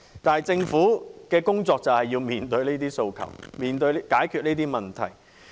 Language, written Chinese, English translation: Cantonese, 但政府的工作正是要面對這些訴求，解決這些問題。, But it is the Governments responsibility to meet these aspirations and address these issues